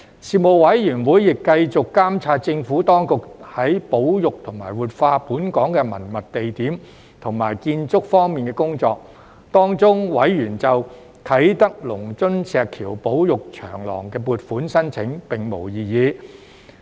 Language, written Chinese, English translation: Cantonese, 事務委員會亦繼續監察政府當局在保育和活化本港的文物地點和建築方面的工作，當中委員就啟德龍津石橋保育長廊的撥款申請並無異議。, The Panel continued to monitor the Administrations work in conserving and revitalizing the heritage sites and buildings in Hong Kong and raised no objection to the funding application for the Lung Tsun Stone Bridge Preservation Corridor at Kai Tak